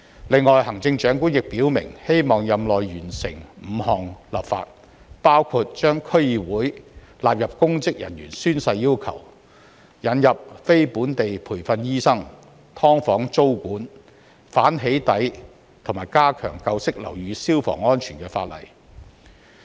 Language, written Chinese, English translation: Cantonese, 此外，行政長官亦表明希望在任內完成5項立法，包括把區議會納入公職人員宣誓要求、引入非本地培訓醫生、"劏房"租務管制、反"起底"及加強舊式樓宇消防安全的法例。, Besides the Chief Executive has also expressed her wish to accomplish five pieces of legislation within her term of office . They include legislation on the incorporation of District Councils in the requirement in respect of oath - taking by public officers the admission of qualified non - locally trained Hong Kong doctors tenancy control on subdivided units anti - doxxing and the improvement to fire safety for old buildings